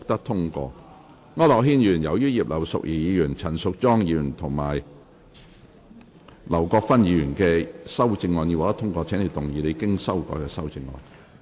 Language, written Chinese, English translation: Cantonese, 區諾軒議員，由於葉劉淑儀議員、陳淑莊議員及劉國勳議員的修正案已獲得通過，請動議你經修改的修正案。, Mr AU Nok - hin as the amendments of Mrs Regina IP Ms Tanya CHAN and Mr LAU Kwok - fan have been passed you may move your revised amendment